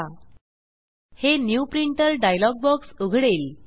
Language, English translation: Marathi, It will open the New Printer dialog box